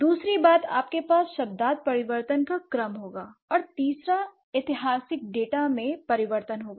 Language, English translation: Hindi, Second thing, you would have the order of semantic change and third would be change in the historical data, change in the historical data, right